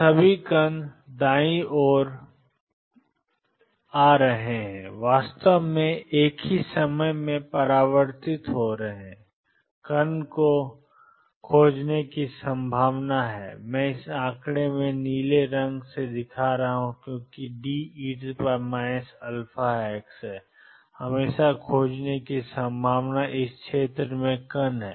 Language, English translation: Hindi, So, all the particles are coming to the right are actually getting reflected at the same time there is a probability of finding the particles and I am showing by this blue in this figure because there is a D e raised to minus alpha x there is always a probability of finding particles in this region